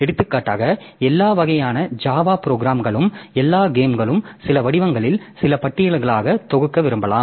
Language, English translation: Tamil, For example all types of all Java programs, all games, so they may be we may like to group them into some form form some listing